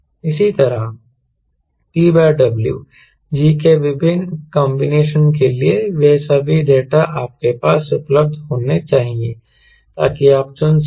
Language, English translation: Hindi, similarly, for different combination of t by w g, all those data should be available with you so that you can select